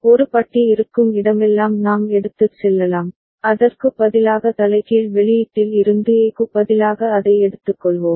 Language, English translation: Tamil, And we can take wherever A bar is there, we will be to take it from the in inverted output instead of A the way it has been shown here right